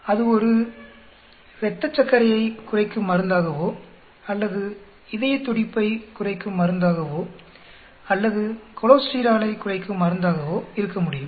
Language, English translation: Tamil, It could be a blood glucose lowering drug or it could be a heart beat lowering drug or cholesterol lowering drug